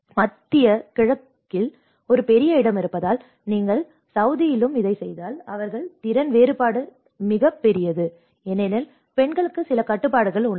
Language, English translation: Tamil, If you do the same thing in Saudi because there is a huge in the Middle East, so they have the skill difference is so huge because women have certain restrictions